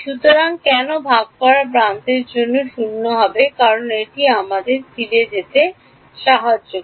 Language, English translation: Bengali, So, why for the shared edge v will become 0 is because well let us go back to let us go back to yeah here